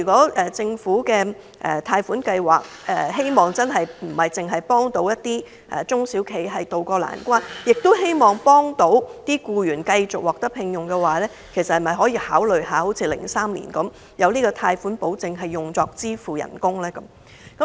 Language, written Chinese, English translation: Cantonese, 因此，政府提供貸款擔保若並非只旨在協助中小企渡過難關，而是同時希望僱員能夠保住工作，政府可否考慮像2003年般提供專門用於支付員工薪酬的貸款保證？, What should they do? . In view of this if the loan guarantees are not meant to help only small and medium enterprises SMEs get through the crisis but also employees retain their jobs will the Government consider providing loan guarantees specifically for salary payment as it did in 2003?